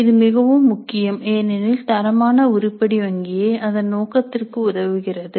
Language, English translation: Tamil, That is very important to ensure that the quality item bank serves its purpose